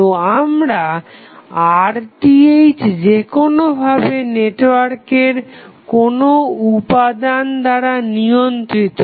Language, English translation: Bengali, So, your Rth is anywhere driven by the network components